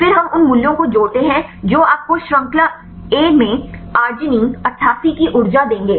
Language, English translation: Hindi, Then we sum up the values that will give you the energy of arginine 88 in chain A